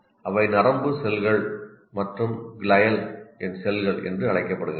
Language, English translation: Tamil, They are called nerve cells and glial cells